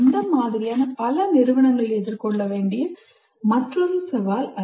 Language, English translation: Tamil, That is another challenge that many of these institutions have to face